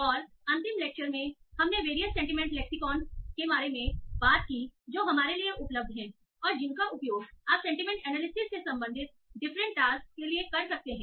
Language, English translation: Hindi, And in the last lecture we talked about various sentiment lexicons that are available to us and that we can use for various tasks related to sentiment analysis